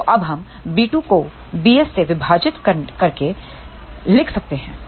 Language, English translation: Hindi, So, now, we can write b 2 divided by b s